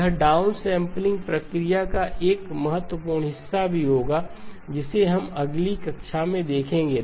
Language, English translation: Hindi, It will also come as an important part of the downsampling process which we will see in the next class